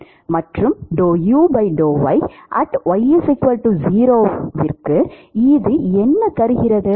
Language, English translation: Tamil, Yeah what does it give